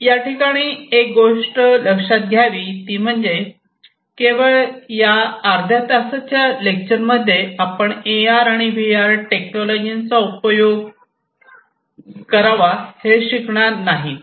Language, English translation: Marathi, So, these are very important, but remember one thing that through this half an hour lecture, you are not going to learn about, how to use the AR and how to use VR